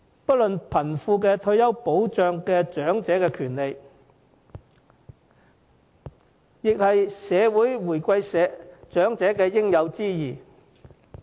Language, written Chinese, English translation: Cantonese, 不論貧富，退休保障是長者的權利，亦是社會回饋長者的應有之義。, Not only is retirement protection a right of elderly persons be they rich or poor it is also a responsibility of any self - respecting society to pay back their elders